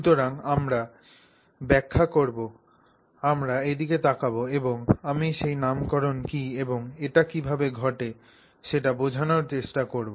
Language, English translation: Bengali, So, we will explain, we look at that and I will try to explain what that nomenclature is and how it comes about